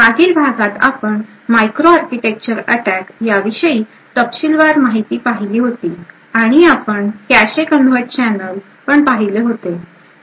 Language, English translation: Marathi, In the previous lecture we got in details to microarchitecture attacks and we looked at cache covert channels